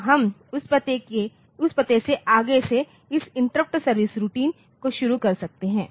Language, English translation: Hindi, So, we can start this interrupt service routine from that address onwards